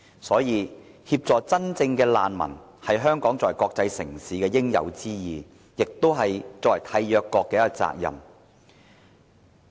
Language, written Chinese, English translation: Cantonese, 所以，協助真正的難民是香港作為國際城市應有之義，亦是作為締約國的責任。, Therefore assisting genuine refugees is a rightful responsibility that Hong Kong should take on as an international city and its duty as a State Party